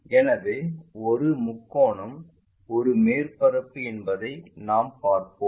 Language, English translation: Tamil, So, we will see a triangle is the surface